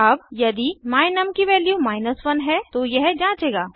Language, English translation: Hindi, It will now check if the value of my num is equal to 1